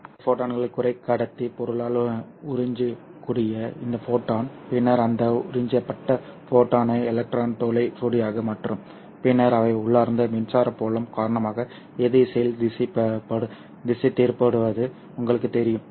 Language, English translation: Tamil, So this photon which falls on the depletion area that will, that photon can be absorbed by the semiconductor material and then in turn convert that absorbed photon into an electron hole pair which are then you know drifted apart in opposite directions because of the inbuilt electric field which the depletion layer provides